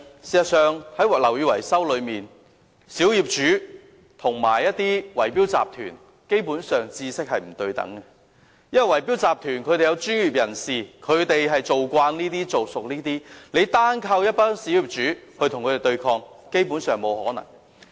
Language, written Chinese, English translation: Cantonese, 事實上，在樓宇維修方面，小業主和圍標集團的知識基本上是不對等的，因為圍標集團中有專業人士，他們相當熟悉這類工程，單靠小業主與他們對抗，基本上是沒有可能的。, Indeed when it comes to the knowledge of building maintenance the small property owners are actually not on a par with the bid - rigging syndicates . It is because in the bid - rigging syndicates there are professionals well versed in these types of works and it is basically impossible for the small property owners to fight against them on their own